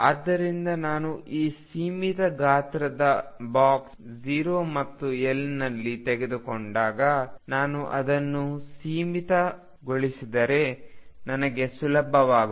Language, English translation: Kannada, So, when I take this finite size box 0 and L, I can make my life easy if I make it symmetric